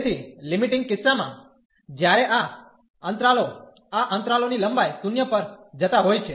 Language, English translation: Gujarati, So, in the limiting case, when these intervals the length of these intervals are going to 0